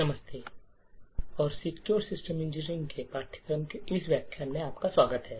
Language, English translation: Hindi, Hello and welcome to this lecture in the course for Secure System Engineering